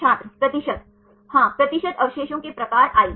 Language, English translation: Hindi, percentage Yeah percentage of residues type i